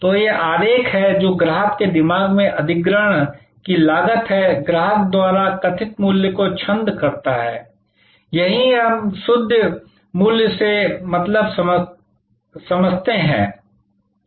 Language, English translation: Hindi, So, this is the diagram that is the cost of acquisition in the mind of the customer verses the value perceived by the customer, this is what we mean by net value